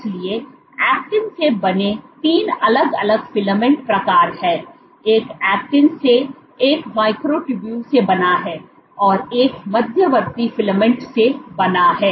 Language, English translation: Hindi, So, there are 3 different filament types one made of Actin, one made of Microtubules, one made of Intermediate Filament